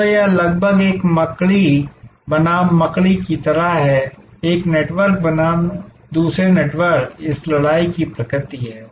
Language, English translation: Hindi, So, this almost like a spider versus spider, one network versus another network is the nature of this battle